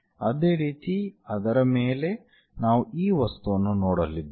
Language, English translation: Kannada, Similarly, on top of that we are going to see this object